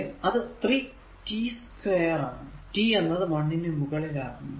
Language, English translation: Malayalam, 3 because here I have taken t is equal to 0